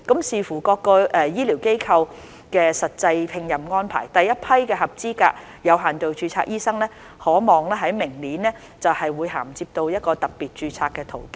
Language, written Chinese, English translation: Cantonese, 視乎各醫療機構的實際聘任安排，第一批的合資格有限度註冊醫生可望在明年銜接到特別註冊的途徑。, Depending on the actual employment arrangements of the healthcare institutions the first batch of eligible doctors under limited registration is expected to migrate to the pathway of special registration next year